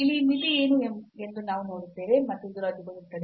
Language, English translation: Kannada, So, we will see that what is this limit here, and this can get cancelled